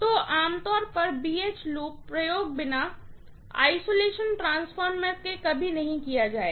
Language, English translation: Hindi, So, normally BH loop experiment will never be conducted without an isolation transformer